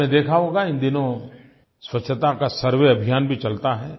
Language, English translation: Hindi, You might have seen that a cleanliness survey campaign is also carried out these days